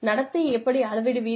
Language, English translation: Tamil, How do you measure behavior